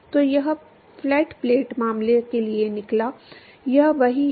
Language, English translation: Hindi, So, it turns out for flat plate case, it is a same